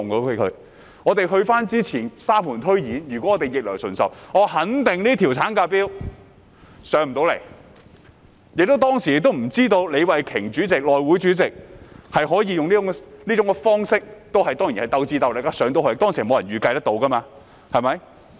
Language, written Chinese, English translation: Cantonese, 回顧從前，沙盤推演，如果我們逆來順受，我肯定這項產假法案無法提交立法會，而且當時也不知道內務委員會主席李慧琼議員可以用這種方式選上——當然過程中要鬥智鬥力——當時沒有人預計得到，對嗎？, Looking back and employing logical reasoning I am sure that if we had turned the other cheek this maternity leave bill could not have been introduced to the Legislative Council . Moreover it was unknown at the time that the House Committee Chairman Ms Starry LEE could be elected in this way . Admittedly the process was a battle of wits but nobody expected it at that time did they?